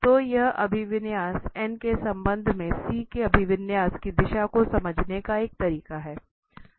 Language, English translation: Hindi, So, this is one way of understanding the direction of the orientation of C with respect to the orientation of n